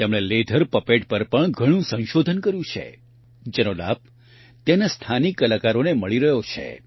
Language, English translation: Gujarati, He has also done a lot of research on leather puppets, which is benefitting the local folk artists there